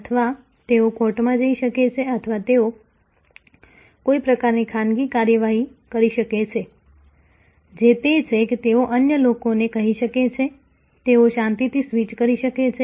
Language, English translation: Gujarati, Or, they can go to court or they can take some kind of private action, which is that, they can tell others, they can just quietly switch